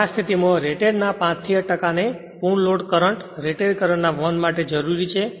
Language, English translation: Gujarati, Now, in this case 5 to 8 percent of the rated is required to allow that your full load current or your rated current